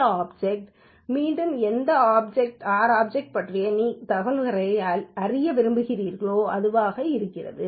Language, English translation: Tamil, This object is an any R object about which you want to have some information